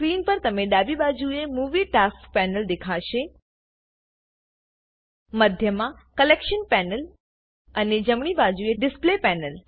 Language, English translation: Gujarati, On the screen, you will see a Movie Tasks panel on the left hand side, a Collection panel in the middle and a Display panel on the right hand side